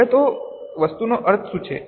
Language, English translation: Gujarati, Now, what is meant by this item